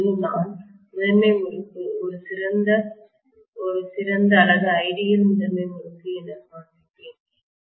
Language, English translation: Tamil, And now I will show the primary winding as an ideal primary winding, right